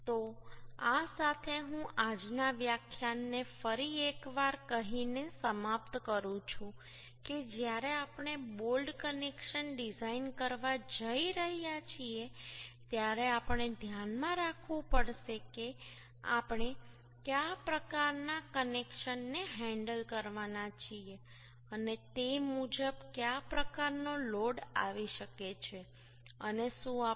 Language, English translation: Gujarati, So with this I would like to conclude todays lecture, saying once again that when we are going to design a bolt connection, we have to keep in mind what type of connections we are going to handle and accordingly what type of load may come, and whether we are going for lap joint or butt joint, whether we are going for eccentric connections or concentric connection